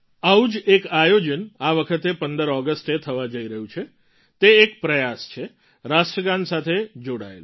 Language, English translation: Gujarati, A similar event is about to take place on the 15th of August this time…this is an endeavour connected with the National Anthem